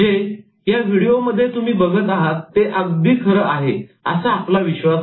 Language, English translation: Marathi, So what the video shows you, we believe that is the real one